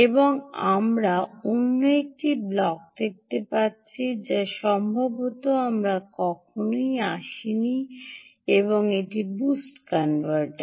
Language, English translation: Bengali, now we see another block which perhaps we have never come across, ok, and this is the boost converter